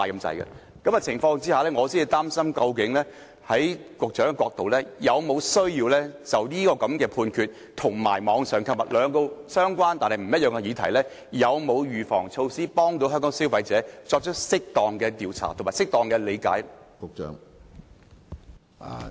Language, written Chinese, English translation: Cantonese, 在這情況下，我想問局長，是否有需要就歐盟的裁決和網上購物這兩個相關但不一樣的議題，採取預防措施，以幫助香港的消費者理解有關問題，以及作出適當的調查？, They almost control the market . In such a situation does the Secretary think that we should take certain precautionary measures and carry out appropriate investigation regarding these two related yet separate issues―the European Union decision and online shopping―so as to assist Hong Kong consumers in grasping the related problems?